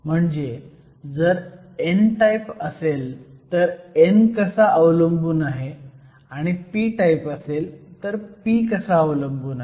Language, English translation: Marathi, So, it is a temperature dependence of n, if it is an n type; or p, if it is a p type